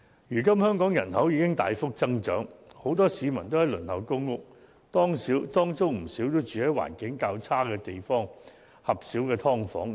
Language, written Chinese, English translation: Cantonese, 如今香港人口已經大幅增長，很多市民都在輪候公屋，其中不少更是居住在環境較差的狹小"劏房"。, Nowadays the population of Hong Kong has increased significantly . A lot of people are waiting for PRH and many of them are currently living in tiny subdivided units with poor conditions